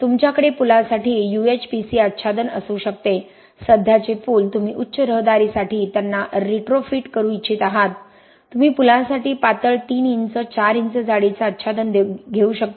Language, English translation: Marathi, You can do UHPC bridges complete bridge decks like you see in those pictures you can have UHPC overlays for bridges, existing bridges you want to retrofit them for higher traffic you can have a thinner 3 inch, 4 inch thick overlay for bridges